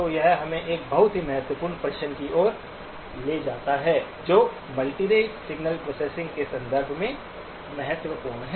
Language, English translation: Hindi, So this leads us to a second very important question, which is important from the context of multirate signal processing